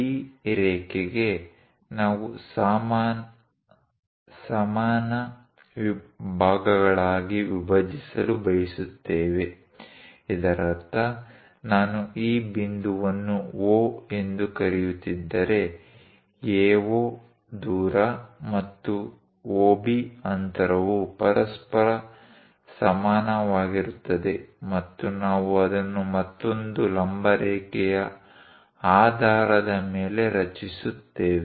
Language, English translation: Kannada, For this line, we would like to bisect into equal parts; that means if I am calling this point as O; AO distance and OB distance are equal to each other and that we construct it based on another perpendicular line